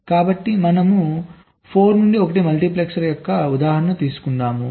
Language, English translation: Telugu, so we take an example of a four to one multiplexer